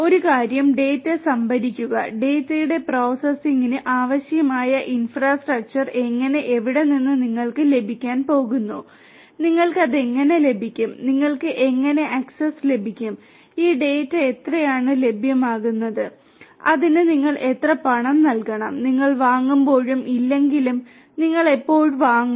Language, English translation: Malayalam, One thing is storing the data, how do how and where you are going to get the infrastructure that is necessary for the processing of the data, how you are going to get it, how you are going to get access to it, how much of this data will be made available, how much you have to pay for it, when do you buy whether you at all you buy or not